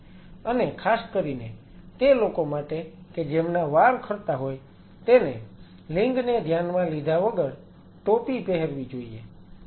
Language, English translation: Gujarati, And specially those people who have hair falls irrespective of the gender should put the cap